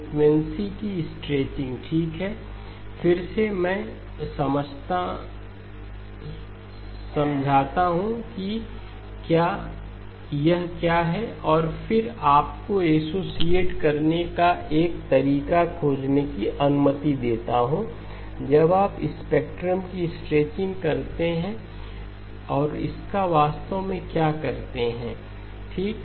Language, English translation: Hindi, Stretching of frequency okay, again let me just explain what it is and then allow you to find a way to associate what it means when you say stretching of spectrum and what does it actually do okay